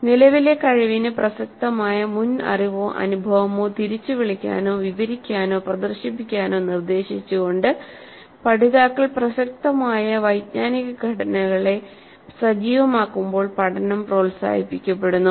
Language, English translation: Malayalam, Learning is promoted when learners activate a relevant cognitive structures by being directed to recall, describe or demonstrate the prior knowledge or experience that is relevant to the current competency